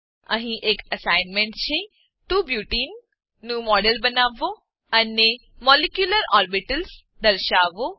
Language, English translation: Gujarati, Here is an assignment Create a model of 2 Butene and display molecular orbitals